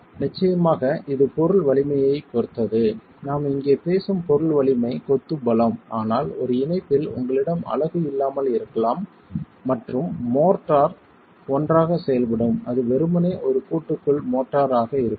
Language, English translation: Tamil, Of course that is going to be dependent on the material strength and the material strength that we are talking about here is the strength of masonry but at a joint you might not have the unit and the motor acting together it might simply be the motor in a joint so it could even be the motor compressive strength